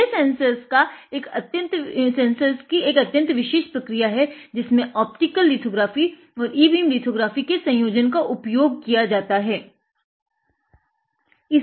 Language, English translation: Hindi, That, this, this sensor was fabricated using a very special process where we have combined both optical lithography and e beam lithography